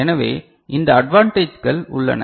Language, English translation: Tamil, So, these advantages are there